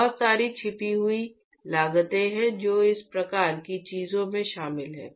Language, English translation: Hindi, There are lots of hidden costs which is involved in these kinds of things